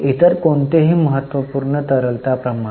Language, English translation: Marathi, Any other important liquidity ratio